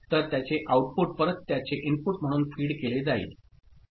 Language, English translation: Marathi, So, again the output of it is feed back as input of this one